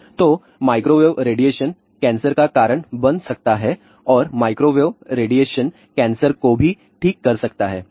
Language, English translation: Hindi, So, microwave radiation can cause cancer and microwave radiation can cure cancer also